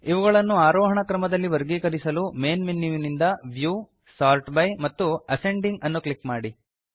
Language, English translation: Kannada, To sort it in the ascending order, from the Main Menu, click on View, Sort by and Ascending